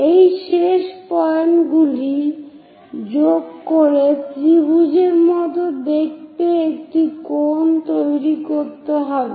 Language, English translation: Bengali, Join these end points to construct one of the view of a cone which looks like a triangle